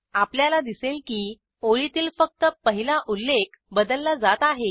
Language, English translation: Marathi, So, we see only the first entry of the lines has been changed